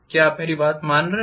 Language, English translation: Hindi, Are you getting my point